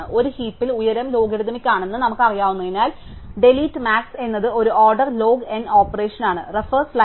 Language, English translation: Malayalam, And since we know that in a heap the height is logarithmic, delete max is also an order log N operation